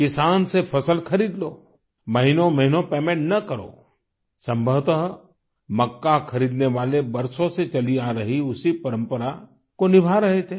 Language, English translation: Hindi, Buy the crop from the farmer, keep the payment pending for months on end ; probably this was the long standing tradition that the buyers of corn were following